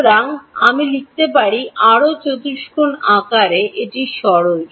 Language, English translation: Bengali, So, I can write, further simplify this in the quadratic form